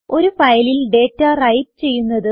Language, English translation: Malayalam, How to write data into a file